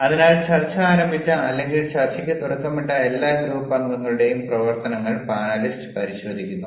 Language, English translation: Malayalam, so the panelist is looking at the activities of all the group members who started the discussion, who initiated the discussion